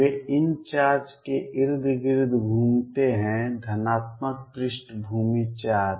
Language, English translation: Hindi, The kind of move around these charges the positive background charges